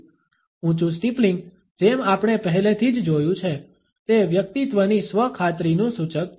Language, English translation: Gujarati, The raised steepling, as we have already seen, is an indication of the self assurance of a person